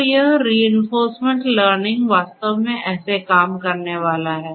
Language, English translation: Hindi, So, this is basically how this reinforcement learning in practice is going to work